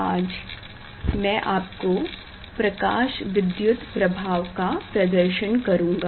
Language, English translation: Hindi, today I will demonstrate experiment on Photoelectric Effect